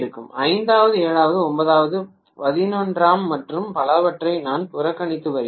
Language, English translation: Tamil, I am neglecting the fifth, seventh, ninth, eleventh and so on and so forth